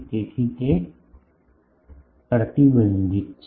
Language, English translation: Gujarati, So, that is the restriction